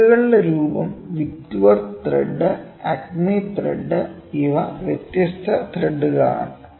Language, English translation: Malayalam, Form of threads, Whitworth, thread acme thread, these are different forms of threads